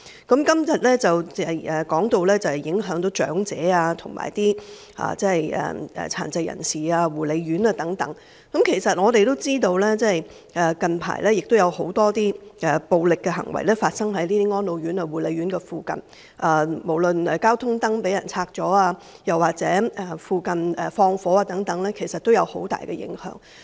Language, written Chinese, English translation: Cantonese, 今天提到對長者、殘疾人士和護理院舍的影響，我們也知道近來有很多暴力行為出現在安老院舍和護理院舍附近，包括交通燈被拆除，或是在附近縱火，其實也造成很大的影響。, We have mentioned the impact on the elderly persons with disabilities and residential care homes today and we all know that many violent acts have occurred in the vicinity of residential care homes for the elderly and persons with disabilities as well as care - and - attention homes including the demolition of traffic lights and setting fire in the vicinity all of which have caused severe impact